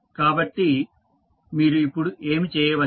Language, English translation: Telugu, So, what you can do now